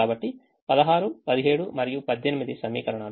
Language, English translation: Telugu, so sixteen, seventeen and eighteen are equations